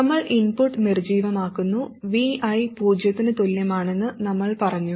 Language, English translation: Malayalam, And we deactivate the input, we set VI equal to 0